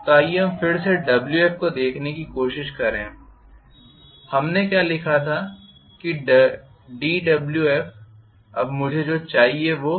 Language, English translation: Hindi, So, let us try to look at again Wf what we wrote was Wf, d Wf now what i want is full Wf so Wf actually should be